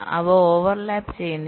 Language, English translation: Malayalam, they are non overlapping, right